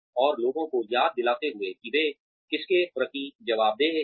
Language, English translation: Hindi, And, reminding people, who they are answerable to